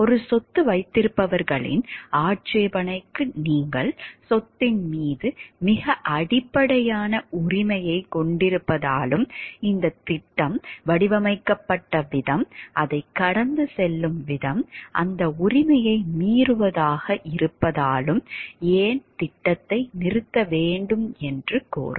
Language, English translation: Tamil, A single property holders objection would require that the project be terminated why because you have a very fundamental right to property and this project the way that it is designed the way that it is passing through is violating that right